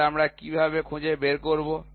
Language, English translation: Bengali, So, how do we figure out